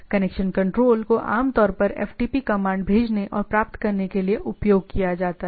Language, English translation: Hindi, So, connection is control connection is typically port 21 uses to send and receive FTP commands